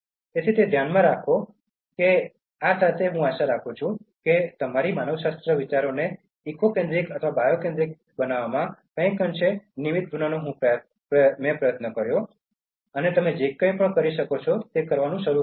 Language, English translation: Gujarati, So, keep that in mind, so with this I hope I will try to be somewhat instrumental in changing your anthropocentric thinking to eco centric or bio centric and start doing your bit, whatever you can do